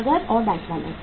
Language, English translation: Hindi, Cash and bank balance